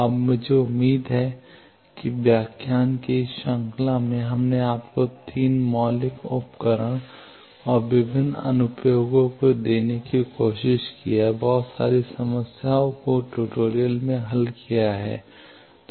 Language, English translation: Hindi, Now, I hope that in this series of lectures, we have tried to give you the 3 fundamental tools and various applications of that also, lot of problems have been solved in tutorials